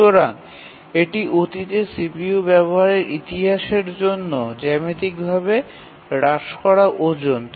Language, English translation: Bengali, So this is a geometrically reduced weightage for past CPU utilization history